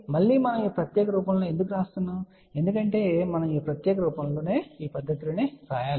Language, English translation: Telugu, Again why we are writing in this particular form because we have to write in this particular fashion